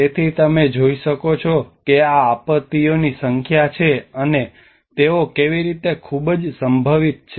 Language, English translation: Gujarati, So you can see that these are the number of disasters and how they are very much prone